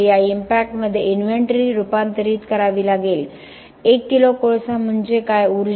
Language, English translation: Marathi, So will have to convert the inventory into these impacts, 1 kg of coal means what